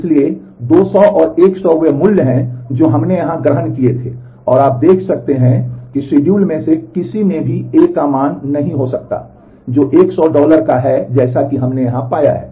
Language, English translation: Hindi, So, 200 and 100 are the values that we had assumed here, and you can see that in neither of the schedule A can have a value, which is 100 dollar as we have found here